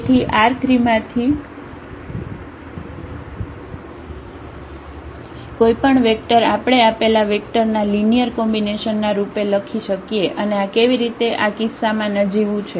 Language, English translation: Gujarati, So, any vector from R 3 we can write down as a linear combination of these given vectors and why this is trivial in this case